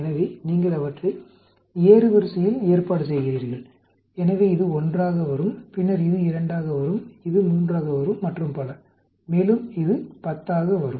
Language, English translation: Tamil, So you arrange them in the ascending order so this will come as 1, then this will come as 2, this will come as 3 and so on and this will come as 10